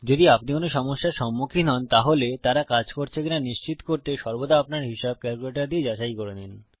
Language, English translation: Bengali, If you come across any problems, always verify your calculations with a calculator to make sure theyre working